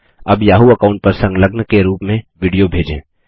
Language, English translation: Hindi, Now, lets send a video as an attachment to the Yahoo account